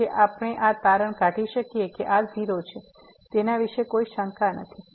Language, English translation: Gujarati, So, we can conclude that this is 0, no doubt about it